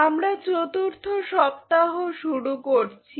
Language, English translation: Bengali, We are starting the 4th week